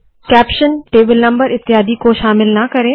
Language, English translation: Hindi, Do not include caption, table number etc